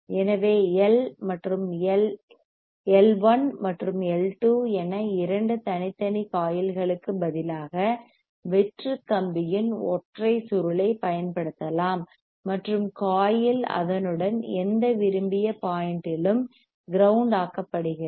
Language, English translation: Tamil, So, instead of two separate coilns as L 1 and L 2,; a single coil of bare wires can be used iandn the coil grounded at any desired point along it